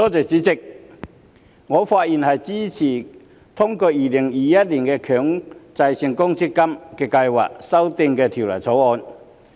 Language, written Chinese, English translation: Cantonese, 主席，我發言支持通過《2021年強制性公積金計劃條例草案》。, President I am speaking in support of the passage of the Mandatory Provident Fund Schemes Amendment Bill 2021 the Bill